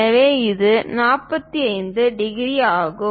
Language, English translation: Tamil, So, this is 45 degrees